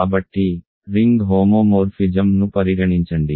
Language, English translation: Telugu, So, consider the ring homomorphism